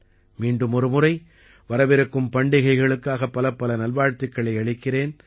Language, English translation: Tamil, Once again, I extend many best wishes for the upcoming festivals